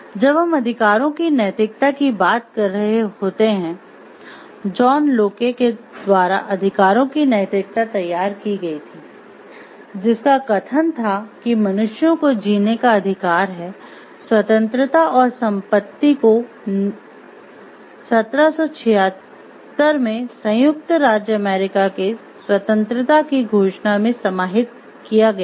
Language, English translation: Hindi, When you talking of rights ethics rights ethics was formulated by John Locke, whose statement was that humans have a right to life, liberty and property was paraphrased if the Declaration of Independence of the soon to be United States of America in 1776